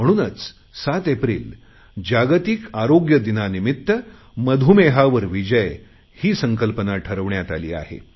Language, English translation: Marathi, This year the theme of the World Health Day is 'Beat Diabetes'